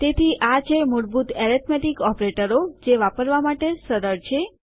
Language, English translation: Gujarati, So, these are the basic arithmetic operators which are simple to use